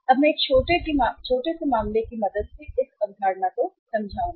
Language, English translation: Hindi, Now I will explain this, this concept with the help of a small case